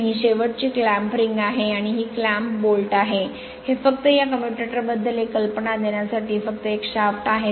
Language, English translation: Marathi, And this is end clamp ring and this is clamp bolt, this is just to give your then this is a shaft just to give one ideas about this commutator right